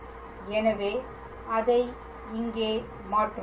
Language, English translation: Tamil, So, let us substitute that here